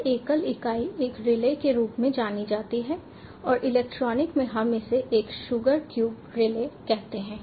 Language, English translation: Hindi, this single entity is known as one relay and in electronic we call this a sugar cube relay